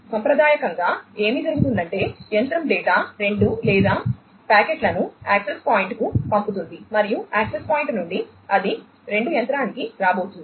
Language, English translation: Telugu, Traditionally what would happen is, the machine one would send the data 2 or the packets to the access point and from the access point it is going to come to the machine 2